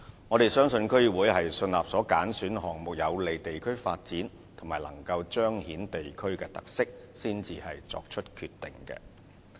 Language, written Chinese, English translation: Cantonese, 我們相信區議會是信納所揀選的項目將有利地區發展及彰顯地區特色，才作出決定。, We believe DCs are satisfied that the selected projects will be conducive to the development and highlight the characteristics of the districts before coming to their decision